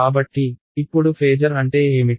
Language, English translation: Telugu, So, what is a phasor now